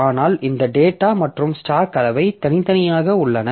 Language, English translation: Tamil, But this data and stack so they are separate